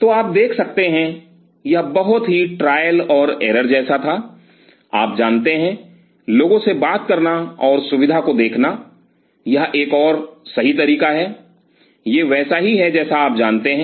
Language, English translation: Hindi, So, you can see it was very trial and error you know talking to people and seeing the facility and figuring this is another right way, this is like you know